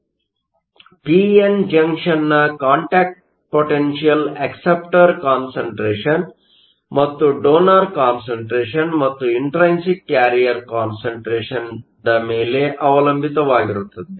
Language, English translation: Kannada, So, the contact potential in the case of a p n junction depends upon the concentration of the acceptors and the concentration of the donors and also the intrinsic carrier concentration